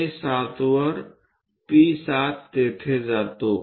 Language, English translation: Marathi, P7 on A7 goes there